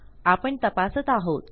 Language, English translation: Marathi, Lets check this